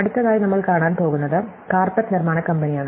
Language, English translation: Malayalam, So, the next example we are going to look at is the carpet manufacturing company